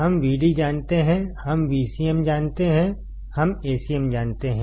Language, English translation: Hindi, We know Vd, we know Vcm, we know Acm